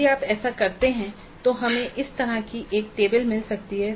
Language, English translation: Hindi, So if you do that then we may get a table like this